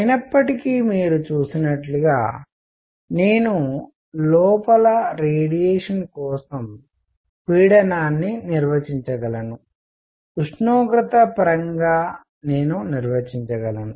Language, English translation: Telugu, However, as you just seen that I can define pressure for radiation inside, I can define in terms of temperature